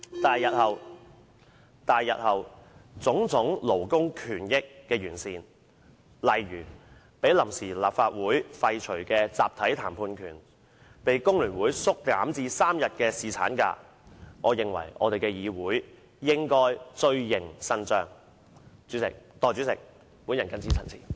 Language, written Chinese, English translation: Cantonese, 對於種種勞工權益，包括被臨時立法會廢除的"集體談判權"，以及被工聯會縮減至3天的男士侍產假，我認為立法會日後應伸張正義，繼續完善有關安排。, As for various labour rights including the right to collective bargaining which was abolished by the Provisional Legislative Council and paternity leave which was reduced to three days by FTU I think the Legislative Council should uphold justice and continue to improve the relevant arrangements in the future